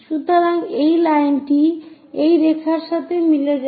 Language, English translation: Bengali, So, that line coincides with this line